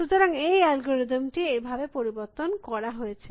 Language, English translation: Bengali, So, the algorithm is modified as this